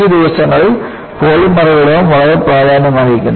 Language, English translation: Malayalam, And, polymers are also becoming very important these days